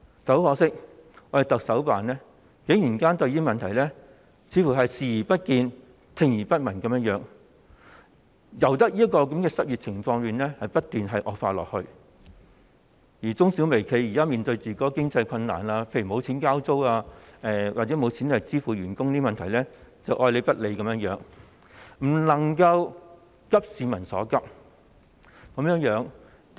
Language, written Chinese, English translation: Cantonese, 但很可惜，特首辦似乎對這個問題，是視而不見、聽而不聞，任由失業情況不斷惡化，而對中小微企現時面對的經濟困難，例如無錢交租或無錢向員工支薪等問題，愛理不理，不能夠急市民所急。, Unfortunately the Chief Executive seems to have turned a blind eye and a deaf ear to this problem and just let the unemployment situation continue to deteriorate . In view of the present financial difficulties facing MSMEs the Government remains indifferent and fails to address peoples pressing needs